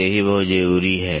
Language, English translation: Hindi, So, this is also very important